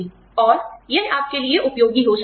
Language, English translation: Hindi, And, that might be, helpful for you